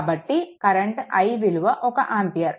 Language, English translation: Telugu, So that means, your i is equal to 1 ampere